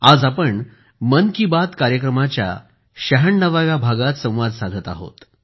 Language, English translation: Marathi, Today we are coming together for the ninetysixth 96 episode of 'Mann Ki Baat'